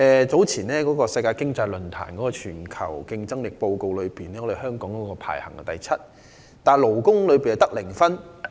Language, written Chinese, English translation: Cantonese, 在世界經濟論壇早前發表的全球競爭力報告中，香港排名第七，但勞工方面的得分是零分。, Hong Kong ranks seventh in the global competitiveness report published by the World Economic Forum recently . But its score in labour aspect is zero